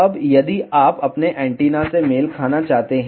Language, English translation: Hindi, Now, if you want to match your antenna